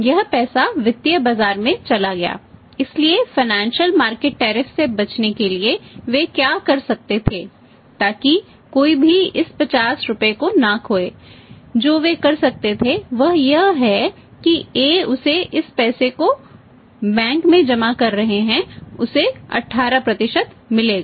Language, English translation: Hindi, This money has gone to the financial market so to avoid the financial market tariff so to avoid the financial market tariff what they could have done is so that nobody is losing this 50 rupees what they could have done is A rather than because A knew it that I have to deposit this money in the bank and I will get 18%